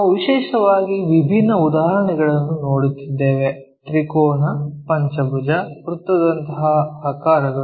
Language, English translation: Kannada, And we are looking at different problems especially, the shapes like triangle, pentagon, circle this kind of things